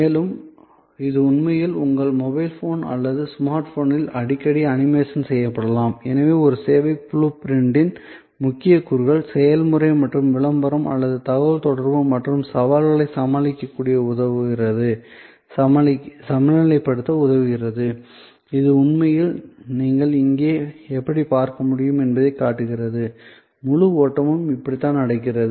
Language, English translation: Tamil, And it can actually be often animated on your mobile phone or a smart phone and so the key components of a service blue print, which help you to balance the process and the promotion or the communication and the challenges are these, this is actually shows how you can see here, this is the how the whole flow is happening